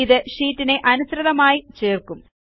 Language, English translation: Malayalam, This will insert the sheet accordingly